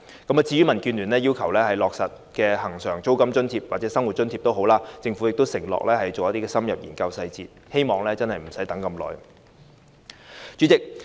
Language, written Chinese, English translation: Cantonese, 至於民建聯要求落實的恆常租金津貼或生活津貼，政府亦已承諾會深入研究相關細節，我希望真的不用等太久。, Regarding the implementation of a regularized rent allowance or living subsidy as requested by DAB the Government has also undertaken to conduct an in - depth study on the relevant details . I really hope that we will not have to wait too long